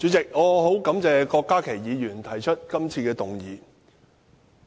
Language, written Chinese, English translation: Cantonese, 主席，我十分感謝郭家麒議員提出今次的議案。, President I thank Dr KWOK Ka - ki for proposing this motion